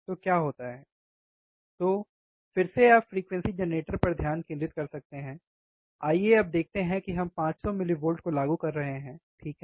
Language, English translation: Hindi, So, again you can focus on the frequency generator, let us see now we are applying 500 millivolts, alright